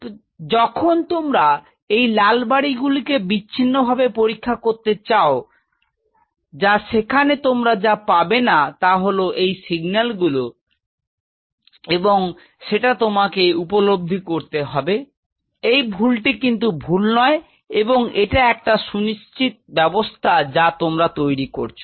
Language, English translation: Bengali, So, when you are trying to study these red houses in isolation, you will be missing there will be signals which you are missing and you have to accept, this error it is not an error rather it is an acute system you are growing